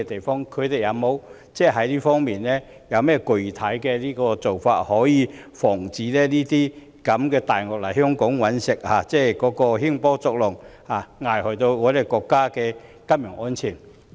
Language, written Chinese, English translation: Cantonese, 當局在這方面有甚麼具體措施防止"大鱷"來港"搵食"，興波作浪，危害國家的金融安全？, Have the authorities put in place any specific measures to prevent international financial predators from coming to Hong Kong to make money stirring up trouble and endangering the financial security of our country?